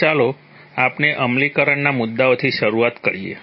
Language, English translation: Gujarati, So let us begin with the implemented issues, implementation issues